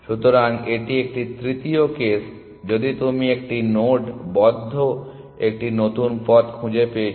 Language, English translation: Bengali, So, that is a third case, if you have found a new path to a node in the closed